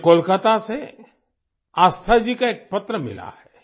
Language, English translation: Hindi, I have received a letter from Aasthaji from Kolkata